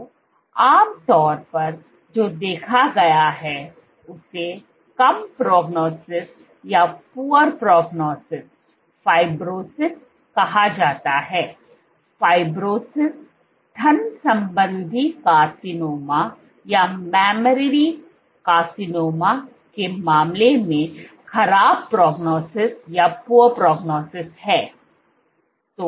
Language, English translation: Hindi, So, generally what has been observed is called poor prognosis fibrosis is correlated with poor prognosis in case of mammary carcinomas